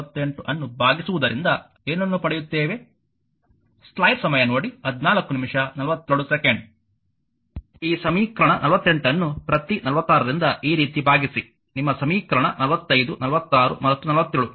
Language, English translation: Kannada, This equation 48 divide by each of 46 like this one, that your equation for your 45 46 and 47 just you divide right